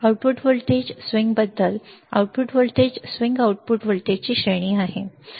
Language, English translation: Marathi, About the output voltage swing, the output voltage swing is the range of output voltage, right